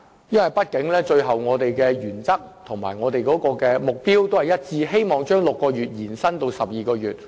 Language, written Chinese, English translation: Cantonese, 畢竟我們的原則和目標一致，同樣希望把6個月期限延至12個月。, After all we share common principles and objectives in hoping to extend the time limit from 6 months to 12 months